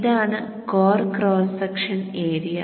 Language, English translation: Malayalam, This is the core cross section area